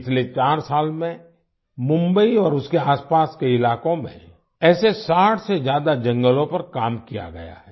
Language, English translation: Hindi, In the last four years, work has been done on more than 60 such forests in Mumbai and its surrounding areas